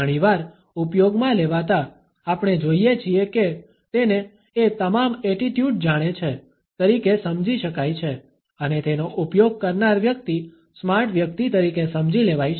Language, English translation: Gujarati, Used too often, we find that it can be understood as ‘a know it all attitude’ and the person using it can be understood as a smart person